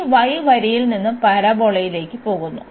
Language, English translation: Malayalam, So, this y goes from the line to the parabola